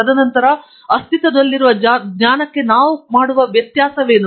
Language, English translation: Kannada, And then, what is the difference that we are making to the existing knowledge